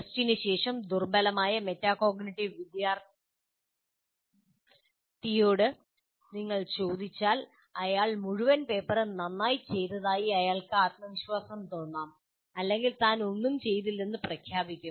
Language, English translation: Malayalam, If you ask a poor metacognitive student, after the test, he may feel very confident that he has asked the entire paper, or otherwise he will just declare that I haven't done anything well